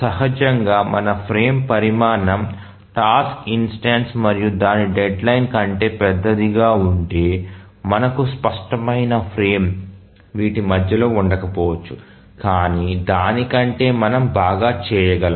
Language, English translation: Telugu, Obviously if our frame size is larger than the task instance and its deadline, we may not have a clear frame which exists between this